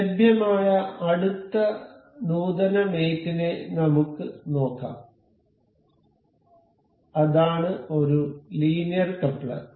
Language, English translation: Malayalam, Let us just see the next advanced mate available, that is linear coupler